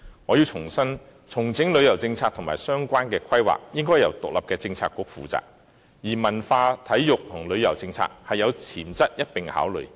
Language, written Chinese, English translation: Cantonese, 我要重申，重整旅遊政策和相關規劃，應由獨立的政策局負責，而文化、體育及旅遊政策是有潛質一併考慮的。, I have to reiterate that an independent Policy Bureau should be made responsible for reconsolidating the policy on tourism and the relevant planning and the cultural sports and tourism policies have potentials to be considered together